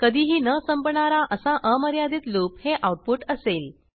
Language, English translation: Marathi, The output will consist of an infinite loop that never ends